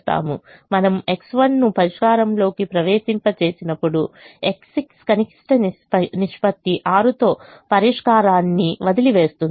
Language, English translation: Telugu, when we enter x one into the solution, x six will leave the solution with minimum ratio of six